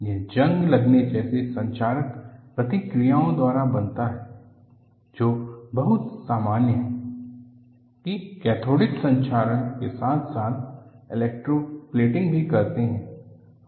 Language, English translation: Hindi, This may be produced by corrosive reactions such as rusting, which is very common place; cathodic protection as well as electroplating